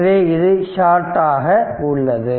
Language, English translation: Tamil, So, it is short right